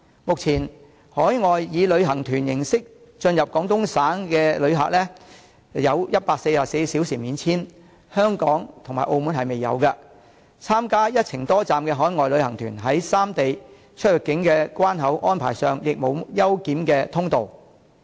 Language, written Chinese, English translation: Cantonese, 目前，海外以旅行團形式進入廣東省的旅客有144小時免簽證安排，香港及澳門仍未有，參加"一程多站"的海外旅行團在三地出入境關口安排上，亦沒有優檢通道。, At present overseas visitors entering Guangdong Province by tours enjoy a 144 - hour visa - free arrangement but this arrangement is yet to be extended to Hong Kong and Macao . Overseas visitors joining multi - destination tours do not have any special clearance channels at the immigration of the three places